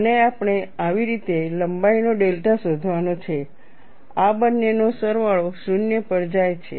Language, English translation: Gujarati, And we have to find out the length delta in such a fashion, the summation of these two goes to 0